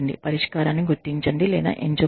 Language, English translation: Telugu, Identify or select the action or solution